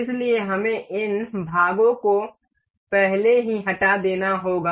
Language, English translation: Hindi, So, we have to remove these already these parts